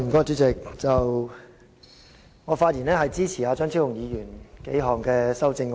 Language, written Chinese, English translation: Cantonese, 主席，我發言支持張超雄議員提出的多項修正案。, Chairman I speak to support Dr Fernando CHEUNGs amendments